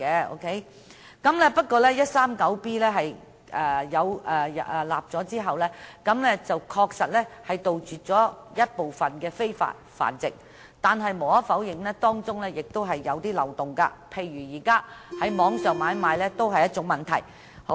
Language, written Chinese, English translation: Cantonese, 在香港法例第 139B 章訂立後，確實能杜絕部分的非法繁殖活動，但無可否認，當中仍有一些漏洞，例如在網上買賣也是一個問題。, After Cap . 139B of the Laws of Hong Kong is enacted it will definitely combat some of the illegal breeding activities in Hong Kong . But it cannot be denied that there are still loopholes in the legislation such as it is unable to deal with online animal trading